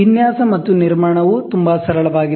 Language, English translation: Kannada, The design and construction is very quite simple